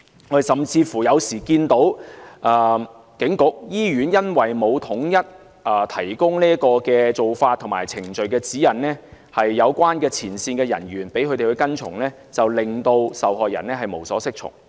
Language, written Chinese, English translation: Cantonese, 我們有時甚至看到，由於警局和醫院沒有統一提供做法和程序指引給有關前線人員跟從，令受害人無所適從。, We have even seen that since the Police and hospital have not issued a set of standardized protocols guidelines and procedures for frontline workers to follow the victims feel that they do not know what to do